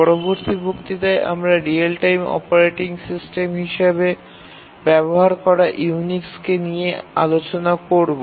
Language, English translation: Bengali, If we want to use Unix as a real time operating system, we will find many problems